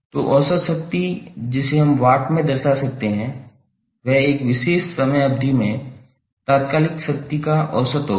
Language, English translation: Hindi, So average power we can represent in Watts would be the average of instantaneous power over one particular time period